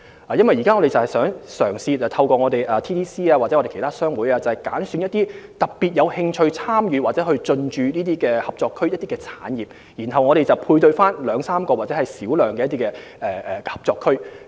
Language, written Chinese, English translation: Cantonese, 我們現正嘗試透過貿發局或其他商會，挑選一些特別有興趣參與或進駐合作區的產業，將之與2至3個或較小量的合作區配對。, We are now trying to select through HKTDC or other chambers of commerce some industries which are particularly interested in operating or developing businesses in ETCZs and match them with two to three or even a smaller number of ETCZs